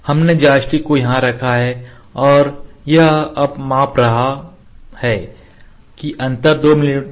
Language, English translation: Hindi, We have kept the joystick here and it is now measuring now the gap is 2 mm